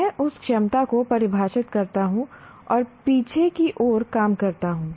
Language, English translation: Hindi, I define that capability and work backwards